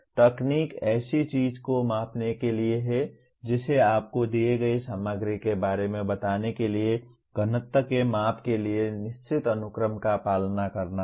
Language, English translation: Hindi, Technique is to measure something you have to follow certain sequence of steps to measure the density of let us say of a given material